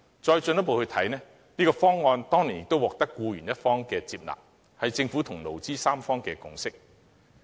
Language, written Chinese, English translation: Cantonese, 況且，這個方案當年亦獲得僱員一方接納，這是政府與勞、資三方的共識。, Moreover this package which was accepted by employees as one of the parties back then represented the tripartite consensus reached by the Government employees and employers